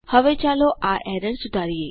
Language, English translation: Gujarati, Now Let us fix this error